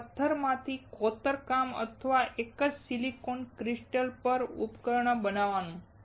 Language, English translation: Gujarati, Carving from a single stone or making a fabricating a device on a single silicon crystal